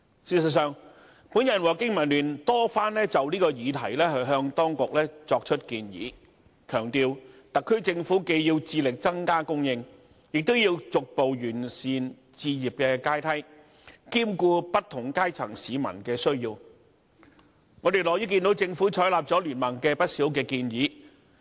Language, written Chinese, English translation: Cantonese, 事實上，我和香港經濟民生聯盟多番就此議題向當局作出建議，強調特區政府既要致力增加供應，亦要逐步完善置業階梯，兼顧不同階層市民的需要，而我們樂見政府採納了經民聯的不少建議。, As a matter of fact the Business and Professional Alliance for Hong Kong BPA and I have made proposals to the Administration many times stressing that the Special Administrative Region SAR Government needs to on the one hand strive to increase supply and on the other progressively perfect the housing ladder addressing the needs of members of the public in different strata . We are pleased to see that the Government has taken a number of BPAs proposals on board